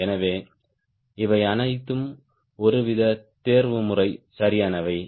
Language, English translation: Tamil, so these are all sort of optimization